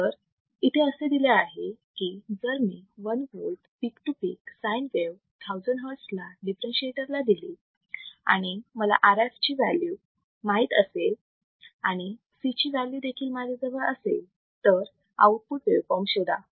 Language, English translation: Marathi, So, what is given that if I apply a sin wave 1 volt peak to peak at 1000 hertz right to a differentiator right, and I know what is value of RF, I know what is the value of C 1, find the output waveform